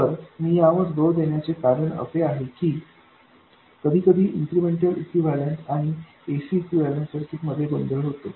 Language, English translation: Marathi, Now, the reason I am emphasizing this is that sometimes there is a confusion between incremental equivalent circuits and AC equivalent circuits